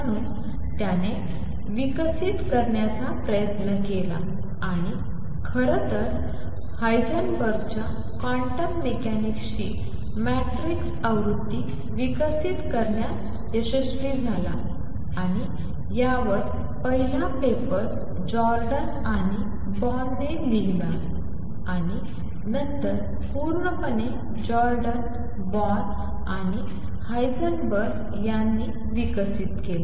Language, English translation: Marathi, So, he tries to develop and in fact, became successful in developing the matrix version of Heisenberg’s quantum mechanics and first paper was written on this by Jordan and Born and later developed fully by Jordan, Born and Heisenberg himself